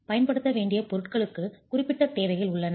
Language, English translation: Tamil, There are specific requirements on the materials that have to be used